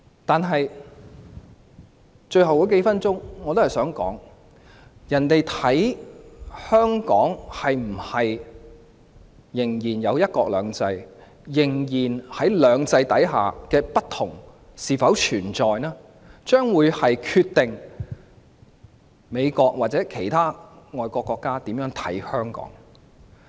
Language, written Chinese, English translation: Cantonese, 在最後數分鐘，我也想說，香港是否仍然享有"一國兩制"，在"兩制"下的差異是否仍然存在，將會決定美國及其他外國國家如何看待香港。, In the last few minutes I would also like to ask if Hong Kong still enjoys one country two systems . How Hong Kong will be treated by the United States and other countries will depend on whether the differences of two systems still exist